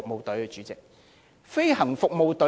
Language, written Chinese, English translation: Cantonese, 對的，主席，是政府飛行服務隊。, Yes President it is the Government Flying Service GFS